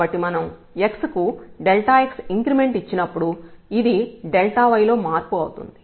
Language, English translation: Telugu, So, when we have made an increment in delta in x by delta x then this is the change in delta y